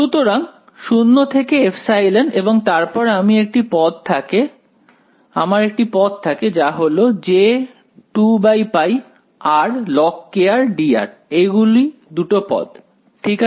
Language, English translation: Bengali, So, 0 to epsilon and then I have a term which is j 2 by pi integral r times log of kr dr those are the two terms right